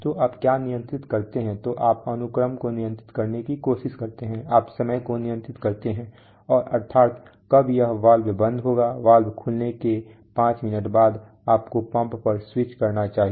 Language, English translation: Hindi, So what do you control so you try to control the sequence, so what happens after what or you control timing that is when exactly will this valve closed that is five minutes after the valve opens, you should switch on the pump